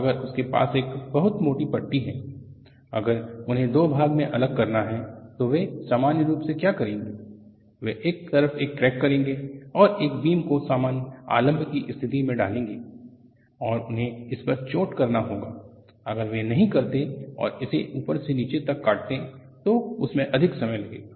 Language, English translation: Hindi, And if you go to the workshop, if they have a very thick bar, if they have to separate into two, what they will normally do is they will put a crack on one side and put it as a beam under simply supported conditions, and they go and hit it; they do not go and cut this from top to bottom; that will take longer time